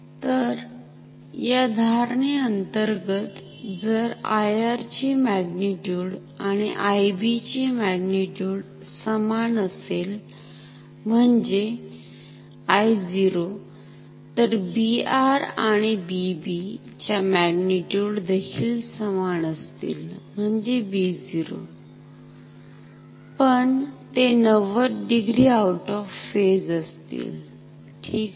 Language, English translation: Marathi, So, under this assumption, if I 0 is same as I mean if the magnitude of I R and magnitude of I B are same I 0, then their magnitude will also be same B R and B B will have same magnitude, B 0; B 0, but they will be out of phase by 90 degree ok